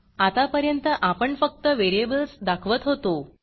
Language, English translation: Marathi, Until now we have been displaying only the variables